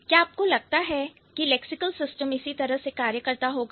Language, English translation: Hindi, But do you think this is how it works, the lexical system works in this way